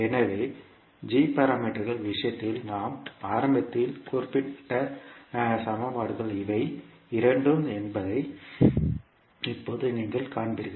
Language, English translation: Tamil, So now, you will see that these two are the same equations which we initially mentioned in case of g parameters